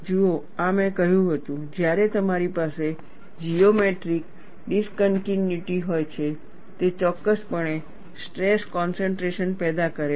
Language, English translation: Gujarati, See, this is what I had said, when you have a geometric discontinuity, it definitely produces stress concentration